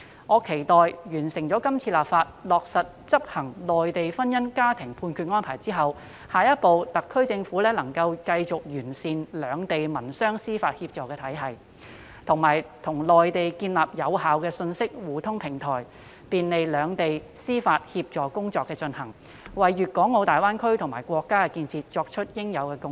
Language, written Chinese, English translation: Cantonese, 我期望在完成今次立法、落實執行有關《安排》後，特區政府下一步能夠繼續完善兩地民商事司法協助體系，以及與內地建立有效的信息互通平台，便利兩地進行司法協助工作，為粤港澳大灣區和國家的建設作出應有的貢獻。, I hope that after completing this legislation exercise and putting the Arrangement into practice the HKSAR will proceed to make continuous improvement in the mutual legal assistance mechanism in civil and commercial matters between Hong Kong and the Mainland and establish an effective information exchange platform with the Mainland in a bid to facilitate the mutual legal assistance work between the two places which will in turn contribute to the development of the Greater Bay Area and our country